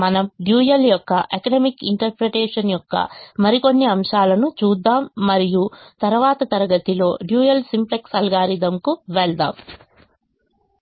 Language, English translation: Telugu, we will see some more aspects of the economic interpretation of the dual and then move on to the dual simplex algorithm in the next class